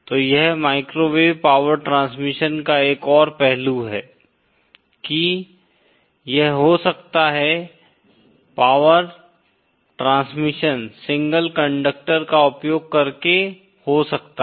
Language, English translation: Hindi, So that is another aspect of microwave power transmission that it can happen, the power transmission can happen using a single conductor